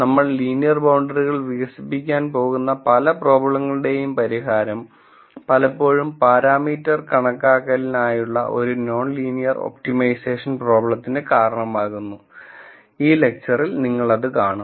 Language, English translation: Malayalam, For problems, where we are going to develop linear boundaries the solution still results in a non linear optimization problem for parameter estimation, as we will see in this lecture